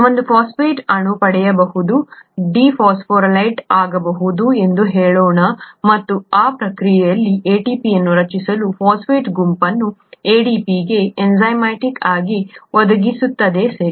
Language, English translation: Kannada, Let’s say a phosphate molecule, can get, can get dephosphorylated and in that process, provide the phosphate group to ADP enzymatically to create ATP, right